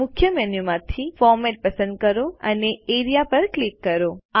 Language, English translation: Gujarati, From the Main menu, select Format and click Area